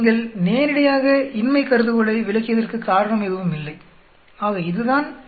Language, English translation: Tamil, There was no reason for you to reject the null hypothesis very straight forward, so this is the t 0